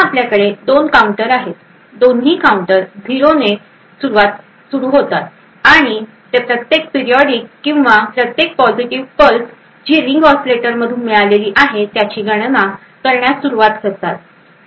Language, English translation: Marathi, Now we have two counters; both the counters start with 0 and they begin counting each periodic or each positive pulse that is obtained from the ring oscillator